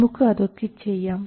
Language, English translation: Malayalam, So, we will try to do this